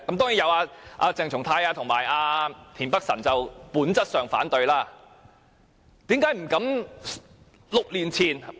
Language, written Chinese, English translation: Cantonese, 當然，也有鄭松泰議員及田北辰議員本質上反對這項修正案。, Of course Members like Dr CHENG Chung - tai and Mr Michael TIEN oppose the Secretarys amendments in principle